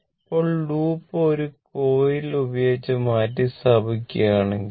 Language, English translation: Malayalam, Now, if the loop is replaced suppose by a coil